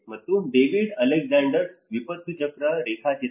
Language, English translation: Kannada, And the David Alexanders Diagram of the disaster cycle